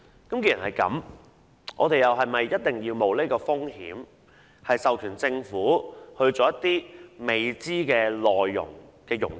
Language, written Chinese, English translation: Cantonese, 既然如此，我們是否應該冒此風險，授權政府做一些未知內容的融資？, Under these circumstances should we take this risk and authorize the Government to raise funds for some unknown projects?